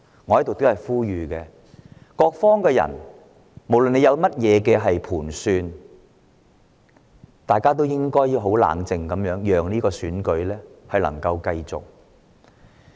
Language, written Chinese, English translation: Cantonese, 我在此呼籲各方人士，不論大家有何盤算，都請保持冷靜，讓這個選舉繼續進行。, I call on all parties no matter what their original plan may be to stay calm so that the Election can be held